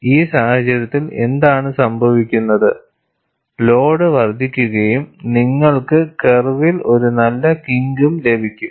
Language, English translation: Malayalam, And in this case, what happens is, the load increases and you have a nice kink on the curve